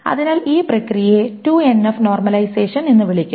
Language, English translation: Malayalam, So this is called a 2NF normalization